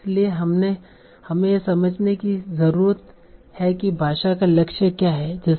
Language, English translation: Hindi, So we need to understand what is the goal of language as such